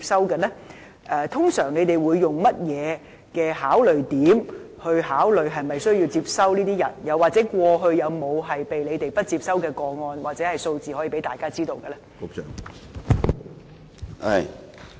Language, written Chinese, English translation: Cantonese, 特區政府通常會以甚麼因素考慮是否需要接收這些人，又或過去有沒有不獲當局接收的個案或數字供大家參考？, What are the factors that will usually be taken into account by the SAR Government when considering the admission of such persons? . Were there any rejection cases in the past? . Are there relevant statistics for Members reference?